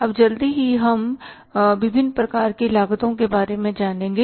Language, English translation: Hindi, Now quickly we will learn about the different types of the costs